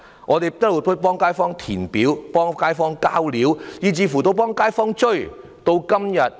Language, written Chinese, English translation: Cantonese, 我們一直代街坊填寫表格和遞交資料，以至代街坊追問情況。, All along we have completed forms submitted information and asked about the progress for the kaifongs